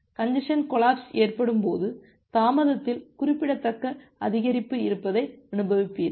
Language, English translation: Tamil, Now when the congestion collapse happens, you experience a significant increase in the delay